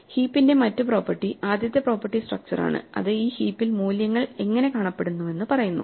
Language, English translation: Malayalam, The other property with the heap, the first property is structural, it just tells us how the values look in the heap